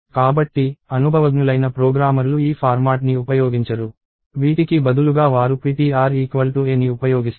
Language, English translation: Telugu, So, experienced programmers do not use this format, instead they use ptr equals a